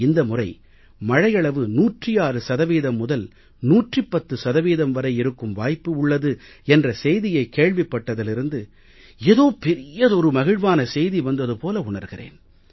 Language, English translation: Tamil, Thus ever since the day it became public knowledge that rainfall this year is expected to be between 106% and 110% it seems as if tidings of peace and happiness have come